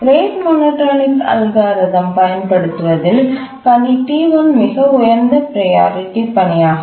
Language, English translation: Tamil, If you apply the rate monotonic algorithm, the task T1 is the highest priority task